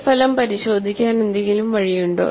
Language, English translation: Malayalam, Is there a way to check this result